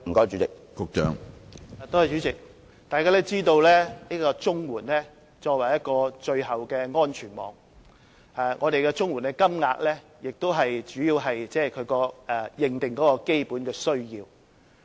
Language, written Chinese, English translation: Cantonese, 主席，眾所周知，綜援是作為最後的安全網，綜援金額主要是支援認定的基本需要。, President as we all know CSSA provides a safety net of last resort . CSSA payments are mainly for supporting recognized basic needs